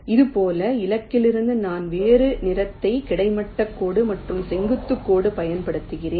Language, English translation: Tamil, i am using a different colour, a horizontal line and a vertical line